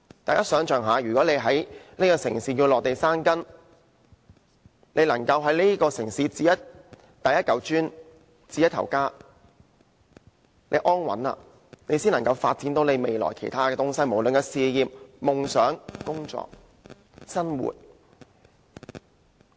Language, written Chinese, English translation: Cantonese, 大家想象一下，如果要在這個城市落地生根，便要在這城市置第一塊磚，置一頭家，只有安穩了，未來才可在其他方面發展，不論是事業、夢想、工作，還是生活。, Come to think about this . If one has to settle his live in this city he has to purchase the first brick in this city that is to set up a home here . Only when he has found stability can he pursue development in other aspects in future be it his career dreams work or life